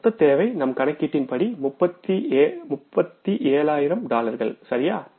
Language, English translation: Tamil, Total requirement will work out as dollars, 37,000s, right